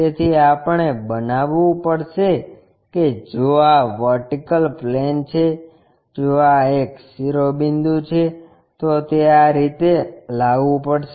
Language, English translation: Gujarati, So, we have to make if this is the vertical plane, if this one is apex it has to be brought in that way